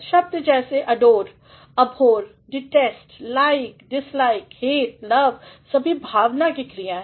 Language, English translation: Hindi, Words like adore, abhor, detest, like, dislike, hate, love all these are verbs of emotion